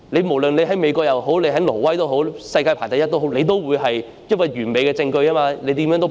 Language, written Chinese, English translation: Cantonese, 無論你身處美國或挪威或世界上排名第一的國家，你也無法反駁完美的證據因而被捕"。, No matter whether you are in the United States Norway or any top - ranking country in the world you would still be unable to refute such impeccable evidence and thus you would be arrested